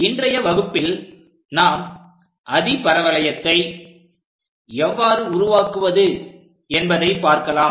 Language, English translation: Tamil, In today's class, we will learn about how to construct a hyperbola